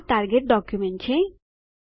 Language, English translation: Gujarati, This is our target document